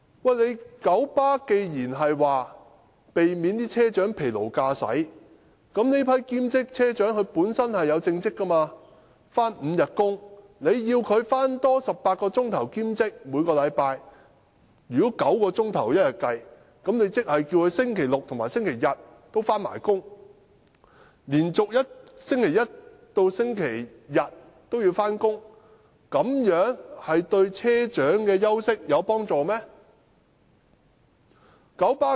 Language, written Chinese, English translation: Cantonese, 九巴曾說要避免車長疲勞駕駛，但這批兼職車長本身已有正職，須每周工作5天，如要他們每星期多做18小時的兼職工作，以每天工作9小來計算，即要他們在星期六和星期日也要上班，這樣由星期一至星期日連續上班，有助車長休息嗎？, But having their own full - time jobs these part - time bus captains already have to work five days a week . If they have to do additional part - time work for 18 hours a week assuming they work nine hours every day that means they will have to work on Saturdays and Sundays too . Can such a way of working continuously from Monday to Sunday help the bus captains rest?